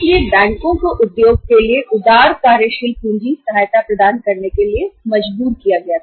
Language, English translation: Hindi, So banks were compelled to provide the liberal working capital help assistance to the to the industry